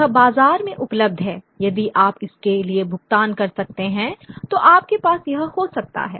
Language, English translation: Hindi, It is available in the market if you can pay for it, you can have it